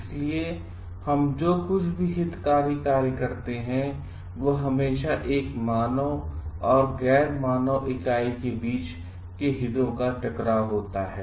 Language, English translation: Hindi, So, whatever we do their interest their always be a conflict of interest between a human and nonhuman entity